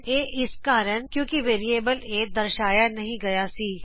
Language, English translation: Punjabi, It occured, as the variable a was not declared